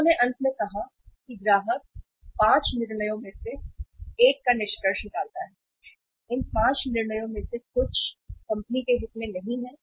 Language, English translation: Hindi, They they finally uh say concluded that customer take either of the 5 decisions; either of these 5 decisions and sometime they are not in the interest of the company